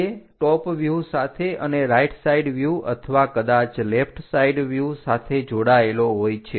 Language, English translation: Gujarati, That will be connected by top and right side views or perhaps left side views